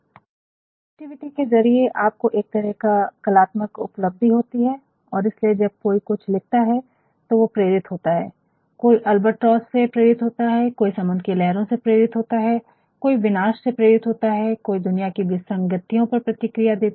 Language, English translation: Hindi, Then to creativity you can find a sort of artistic achievement and that is why, when somebody writes something one is inspired, one may be inspired by an albatross, one may also be inspired by the sea waves, one may also be inspired by the destruction, one may also show his reaction against the anomalies of the world